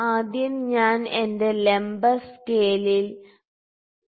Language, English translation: Malayalam, So, first I will fix my vertical scale to 2